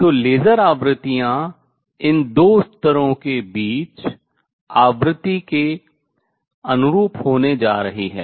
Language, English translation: Hindi, So, laser frequencies is going to be the corresponding to the frequency between the these two levels